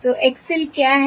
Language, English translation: Hindi, So what is the X L